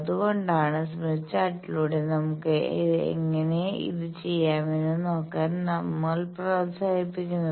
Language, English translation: Malayalam, That is why we encourage that the same thing let us see, how we can do by Smith Chart